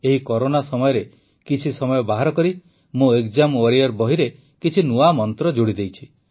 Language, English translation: Odia, In the times of Corona, I took out some time, added many new mantras in the exam warrior book; some for the parents as well